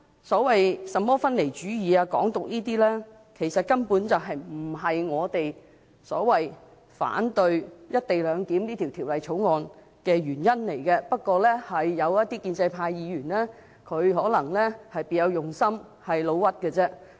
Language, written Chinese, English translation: Cantonese, 甚麼分離主義或"港獨"等，根本不是我們反對"一地兩檢"的原因，不過，有些建制派議員可能別有用心，"老屈"成風。, We oppose the co - location arrangement not because we support separatism or Hong Kong independence etc . Yet some pro - establishment Members may have ulterior motives and they are in a habit of making false accusations